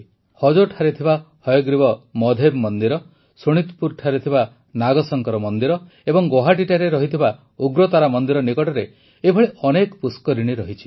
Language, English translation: Odia, The Hayagriva Madheb Temple at Hajo, the Nagashankar Temple at Sonitpur and the Ugratara Temple at Guwahati have many such ponds nearby